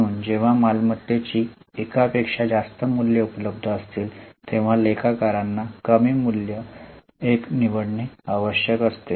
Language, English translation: Marathi, So, when the alternative values of assets are available, accountants need to choose the one which leads to lesser value